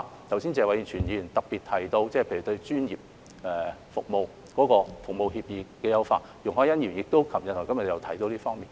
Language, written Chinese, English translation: Cantonese, 剛才謝偉銓議員特別提到例如對專業服務協議的優化，而容海恩議員於昨天和今天亦有提到這方面。, Just now Mr Tony TSE specifically mentioned improving professional service agreements which Ms YUNG Hoi - yan also touched on in her speeches made yesterday and today